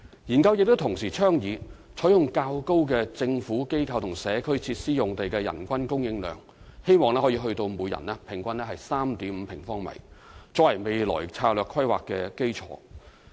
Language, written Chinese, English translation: Cantonese, 研究亦同時倡議採用較高的"政府、機構或社區設施"用地的人均供應量，希望可以達到每人平均 3.5 平方米，作為未來策略規劃的基礎。, The study also recommends adopting a higher end of the range at 3.5 sq m per person as the future strategic planning baseline for the land requirement for Government Institution or Community GIC sites